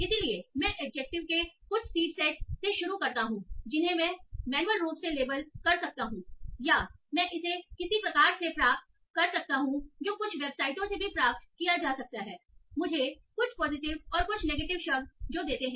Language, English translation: Hindi, So I start with some seed set of adjectives that I can label manually or I can get it from some sort of, it can be obtained also from some websites, give me some positive and negative adjectives